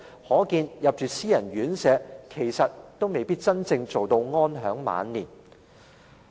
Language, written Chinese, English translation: Cantonese, 可見，入住私人院舍其實也未必可以真正做到安享晚年。, It is thus evident that living in private care homes may not be the means to have truly stable and enjoyable twilight years